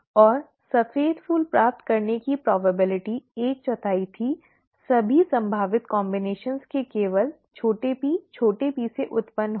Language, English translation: Hindi, And the probability of getting white flowers was one fourth, arising from only small p small p of all the possible combinations